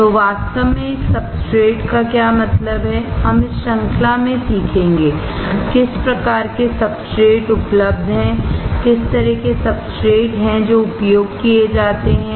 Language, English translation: Hindi, So, what exactly does a substrate means; we will learn in the series; what are the kind of substrates that are available, what are the kind of substrates that are used